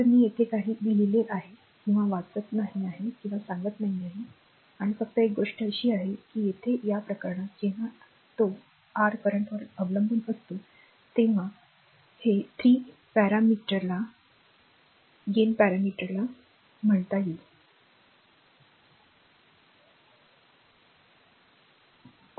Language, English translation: Marathi, So, I am not reading or not telling further everything is written here right and only thing is that here in this case whenever it is your dependent on the current so, this parameter this 3 you will call the gain parameter right